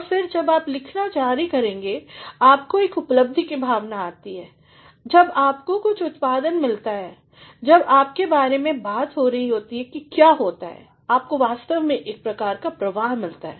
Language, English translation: Hindi, And, then when you continue to write, you get a sense of achievement, when you get some output, when you are being talked about what happens, you actually get a sort of flow